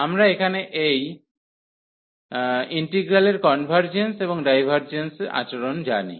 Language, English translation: Bengali, So, we know the convergence and the divergence behavior of this test integral here